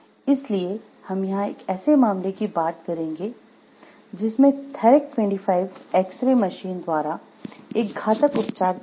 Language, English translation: Hindi, So, what we will focus over here is a case which talks of the lethal treatment, the Therac 25 X ray machine